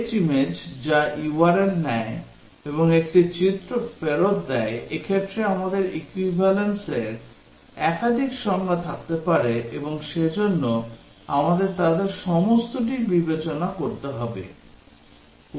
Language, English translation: Bengali, Fetch image, which takes URL and returns an image in this case, we can have multiple definition of equivalence and therefore we have to consider all of them